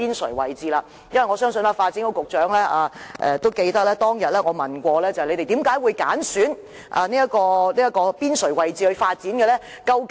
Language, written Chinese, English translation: Cantonese, 我相信發展局局長也記得，當天我曾問他們，為何會揀選邊陲位置作發展用途？, I believe the Secretary for Development still remember that that day I questioned why the periphery of country parks was chosen for development and which Policy Bureaux had also participated in the discussions